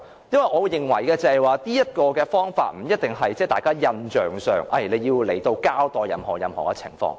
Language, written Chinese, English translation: Cantonese, 因為，我會認為這方法不一定是印象上，認為署長要來到交代任何情況。, In my opinion by summoning them we do not have to convey an impression that the Commissioner must account for a specific issue